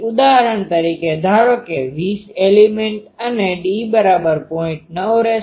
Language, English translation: Gujarati, So, for example, suppose 20 element and d is 0